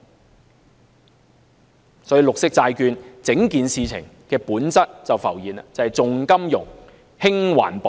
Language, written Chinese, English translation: Cantonese, 如此一來，綠色債券整件事情的本質便浮現了，就是重金融，輕環保。, In that case we will get to the heart of the whole matter concerning green bonds in which finance is put before environmentally - friendliness